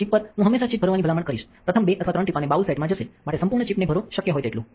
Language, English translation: Gujarati, On a chip, I would always recommend to fill the entire chip make the first 2 or 3 drops go in the bowl set fill the entire chip as much as possible